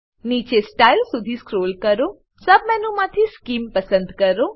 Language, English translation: Gujarati, Scroll down to Style, select Scheme from the sub menu